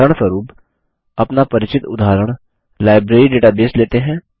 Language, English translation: Hindi, For example, let us consider our familiar Library database example